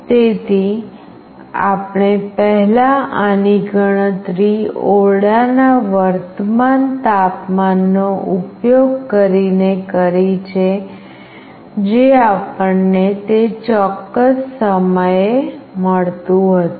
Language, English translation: Gujarati, So, we have earlier calculated this using the current temperature of the room that we were getting at that particular time